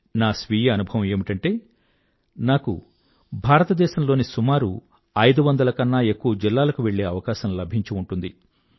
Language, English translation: Telugu, This is my personal experience, I had a chance of visiting more than five hundred districts of India